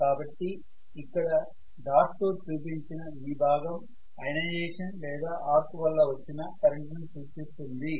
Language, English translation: Telugu, So this is going to so this particular dotted portion what I am showing is the current due to ionization or arc